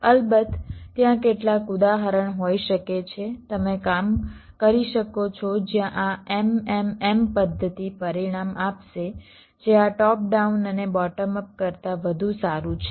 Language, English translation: Gujarati, of course there can be a some example you could be work out where this m, m, m method will give result which is better than this top down one, bottom of one